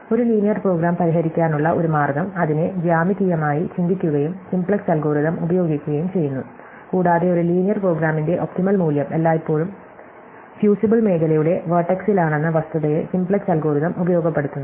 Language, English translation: Malayalam, And one way to solve a linear program is to think of it geometrically and use the simplex algorithm and the simplex algorithm exploits the fact that the optimum value of a linear program is always at the vertex of the fusible region